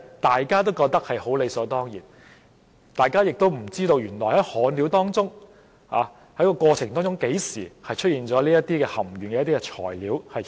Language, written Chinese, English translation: Cantonese, 大家覺得理所當然的事卻出現了一個盲點，不知為何在施工過程中何時出現了含鉛材料。, Unfortunately a blind spot arose in something that we had taken for granted . No one knew why and when leaded materials were used in the construction process